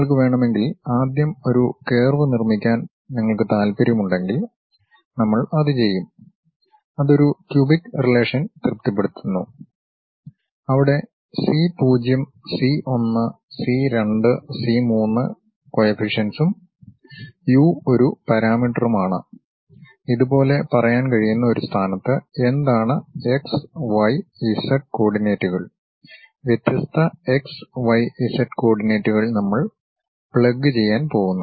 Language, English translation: Malayalam, And if you want to, if you are interested in constructing a curve first, then we will impose that, it satisfy a cubic relation where c0, c 1, c 2, c 3 are the coefficients and u is a parameter which we might be in a position to say it like, what are the x y z coordinates, different x y z coordinates we are going to plug it